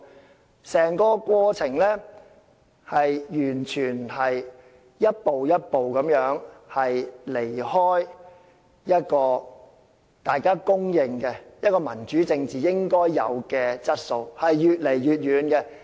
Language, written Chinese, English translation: Cantonese, 在整個過程中，完全是一步一步離開大家所公認民主政治應具備的質素，越走越遠。, Every move they take has departed further and further away from the principles of democracy as we generally recognized